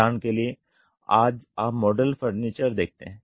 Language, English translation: Hindi, For example today you see modular furniture’s